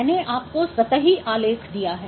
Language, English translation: Hindi, So, I have given you the surface plot